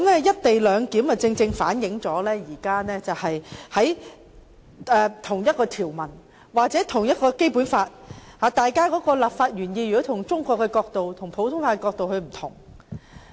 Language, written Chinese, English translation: Cantonese, "一地兩檢"安排正好反映了就同一條文或《基本法》同一立法原意，中國法和普通法的詮釋角度也有不同之處。, The co - location arrangement is exactly an example as to how a provision or the same legislative intent of the Basic Law can be interpreted differently from the perspective of Chinese law and under the principles of common law